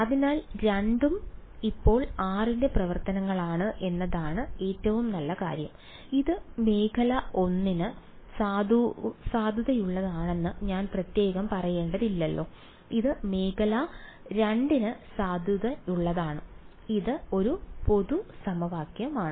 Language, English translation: Malayalam, So, both are functions of r now is the most general thing the good thing is that I do not have to specially say this is valid for region 1 this is valid for region 2 its a general equation